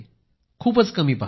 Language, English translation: Marathi, I watch very little